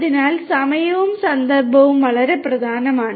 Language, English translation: Malayalam, So, timing is very important and the context